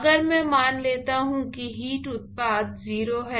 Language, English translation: Hindi, So, supposing if I assume that the heat generation is 0